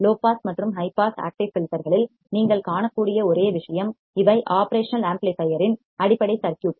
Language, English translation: Tamil, The only thing you would find in low pass and high pass active filters is that these are very basic circuits of the operational amplifier